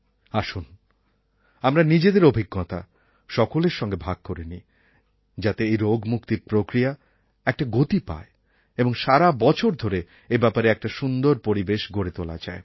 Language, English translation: Bengali, Why don't we share our experiences with other people to impart a momentum to this endeavour and create a kind of atmosphere for it for an entire year